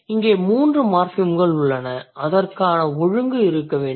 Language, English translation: Tamil, So, there are three morphins here and there must be an order for it